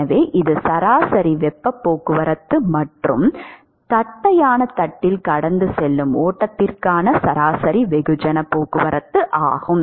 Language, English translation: Tamil, So, that is the average heat transport and average mass transport for flow passed on flat plate